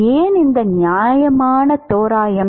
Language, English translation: Tamil, Why is this reasonable approximation